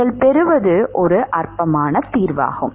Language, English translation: Tamil, You get a trivial solution